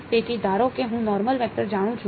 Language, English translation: Gujarati, So, assume that I know the normal vector